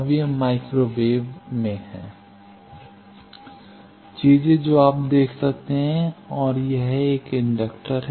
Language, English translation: Hindi, Now, this is in the microwave, things you will see this and an inductor